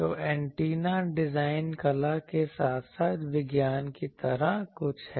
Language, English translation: Hindi, So, antenna design is something like arts as well as science